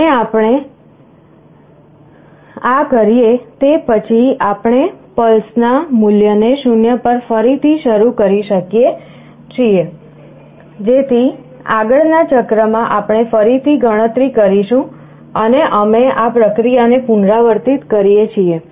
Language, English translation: Gujarati, And after we do this we reinitialize the value of pulses to 0 so that in the next cycle we again carryout with the counting and we repeat this process